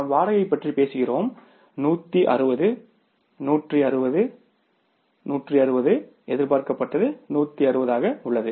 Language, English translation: Tamil, If you talk about the rent, the rent is same 160, 160, 160 is there so there is no variance